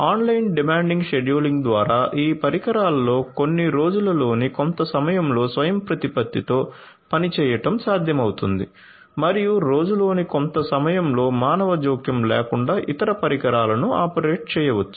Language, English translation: Telugu, So, through online demand scheduling it would be possible to have some of these devices operate autonomously in certain parts of the day and in certain other parts of the day other devices may be operated without any human intervention